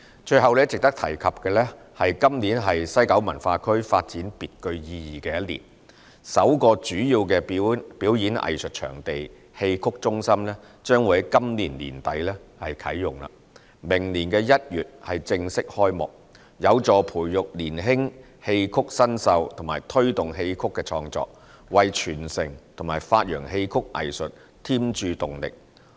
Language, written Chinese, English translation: Cantonese, 最後值得提及的是，今年是西九文化區發展別具意義的一年，首個主要表演藝術場地——戲曲中心將於今年年底啟用，明年1月正式開幕，有助培育年輕戲曲新秀和推動戲曲創作，為傳承和發揚戲曲藝術添注動力。, Lastly it is worth mentioning that this year marks a significant milestone for the development of WKCD . Xiqu Centre its first major performing arts venue which will be commissioned by the end of this year and will officially open in January next year will help nurture young xiqu talent and promote xiqu creation injecting impetus to the conservation and promotion of the xiqu art form